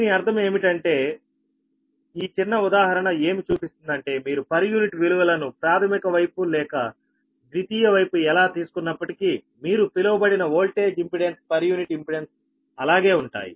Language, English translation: Telugu, right, so that means this small example you to you, just to show that, whether you take, refer to primary side or secondary side, on per unit values, this, this your, what you call the impedance per unit impedance